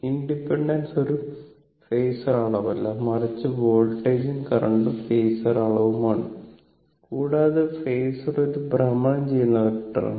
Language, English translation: Malayalam, We will come to that ah why it is not a phasor quantity, but voltage and current and phasor quantity, and phasor is a rotating vector, right